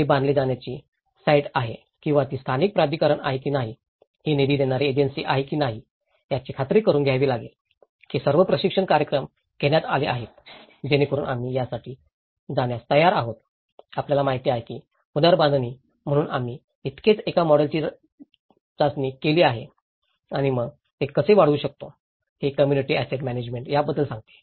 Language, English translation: Marathi, Whether, it is a site to be constructed or whether it is a local authority, whether it is a funding agency, you need to make sure that you know, that all the training programs have been conducted, so that we are ready to go for the rebuilding you know, so we have just tested one model and then how we can scale this up so, this is how the community asset management talks about